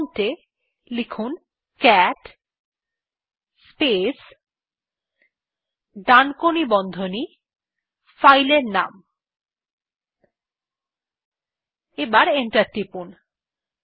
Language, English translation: Bengali, For this type at the prompt cat space right angle bracket space filename say file1 and press enter